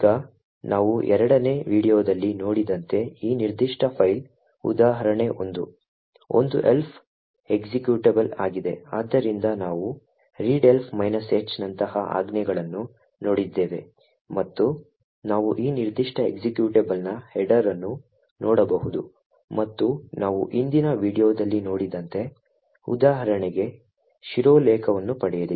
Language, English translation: Kannada, Now as we seen in the second video today this particular file the example 1 is an elf executable, so we have seen commands such as readelf minus H and we can look at the header of this particular executable and as we have seen in the previous video we would obtain the header for example 1